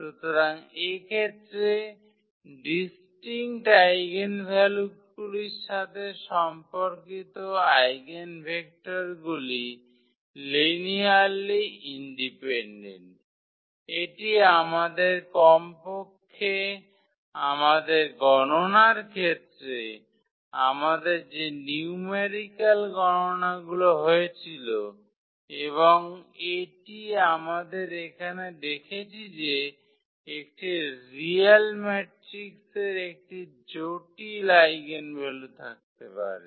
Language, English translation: Bengali, So, in this case the eigenvectors corresponding to distinct eigenvalues are linearly independent this is what we have observed at least for the calculations we had in numerical calculations and also what we have observed here that a real matrix may have a complex eigenvalues